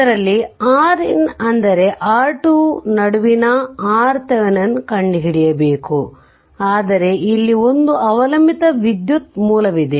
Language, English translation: Kannada, You have to find out your R in that is your R Thevenin between R in means R thevenin, but here one dependent current source is there